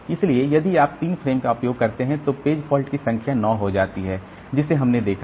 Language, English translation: Hindi, So, if you use 3 frames then this number of page faults drops to 9, okay, that we have seen